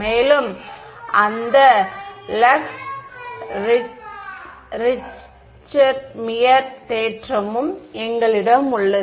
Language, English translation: Tamil, And, we have that Lax Richtmyer theorem as well